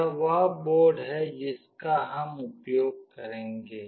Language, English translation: Hindi, This is the board that we will be using